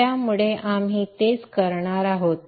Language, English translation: Marathi, So that's what we will do